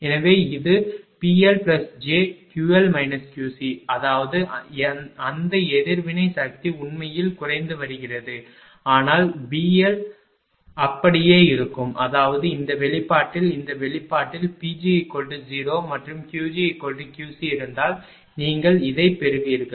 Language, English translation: Tamil, So, it is P L plus in this direction Q L minus Q C; that means, that reactive power actually is getting reduced, but P L will remain same; that means, in this expression if P g is 0 in this expression if P g is 0 and Q g replaced by Q C you will get this one